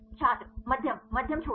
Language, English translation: Hindi, Medium; medium short